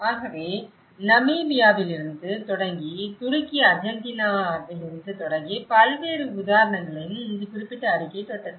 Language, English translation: Tamil, So, this is where, this particular report also touched upon a variety of example starting from Namibia, starting from Turkey, Argentina